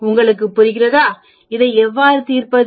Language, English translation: Tamil, Do you understand how to solve this